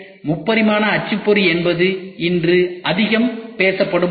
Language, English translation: Tamil, So, 3D printing is something which is which is very much talked about today